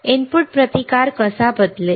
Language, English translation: Marathi, How the input resistance will change